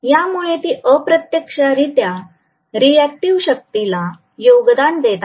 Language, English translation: Marathi, So that is indirectly contributing to the reactive power so it is going back and forth